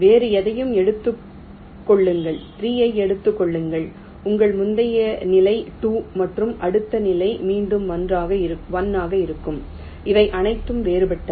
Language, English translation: Tamil, take any other, lets say take three, your previous level is two and next level will be one again, which are all distinct